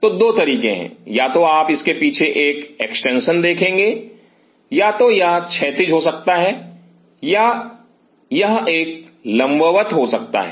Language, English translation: Hindi, So, there are 2 ways either you will see an extension on the back of it, or either it could be horizontal or it could be a vertical